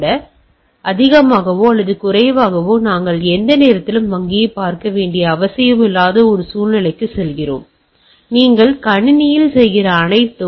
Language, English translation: Tamil, So, a more or less we are going to a scenario where you do not have to visit bank at any point of time, everything you are doing on the system